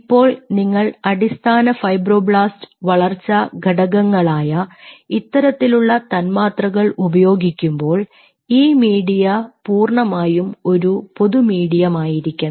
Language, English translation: Malayalam, now, whenever you are using anything which these kind of molecules, which are mostly basic fibroblast growth factors, which are used, and, and and this media, this whole thing has to be, ah, a common medium